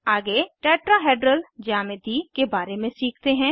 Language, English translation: Hindi, Next, let us learn about Tetrahedral geometry